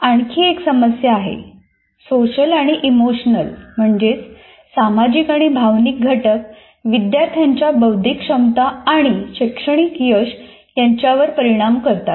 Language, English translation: Marathi, Social and emotional factors influence students' cognitive abilities and academic achievements